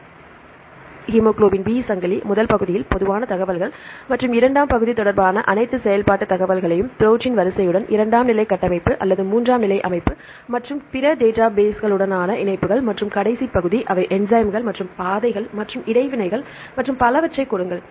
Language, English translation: Tamil, So, here the hemoglobin B chain, in the first part we give all the functional information regarding the general information and second part with the protein sequence along with the secondary structure or the tertiary structure and the links with other databases, and the last part they give the enzymes and pathways and the interactions and so on